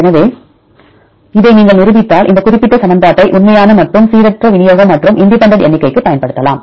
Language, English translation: Tamil, So, in this if you prove this one then we can use this particular equation to see because the actual and the random distribution and you get the independent counts